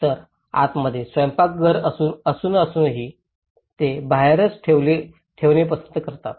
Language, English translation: Marathi, So, in despite of having a kitchen inside but still, they prefer to have it outside as well